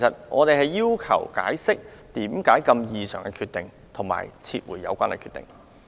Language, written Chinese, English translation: Cantonese, 我們要求當局解釋作出這個異常決定的原因，並撤回有關決定。, We therefore request the authorities to explain and withdraw this anomalous decision